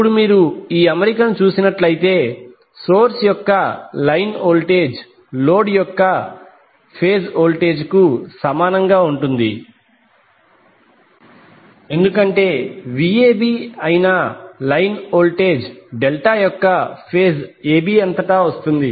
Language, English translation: Telugu, Now if you see these particular arrangement, the line voltage of the source will be equal to phase voltage of the load because line voltage that is Vab is coming across the phase AB of the delta